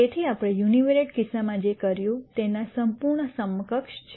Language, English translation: Gujarati, So, this is the complete equivalent of what we did in the univariate case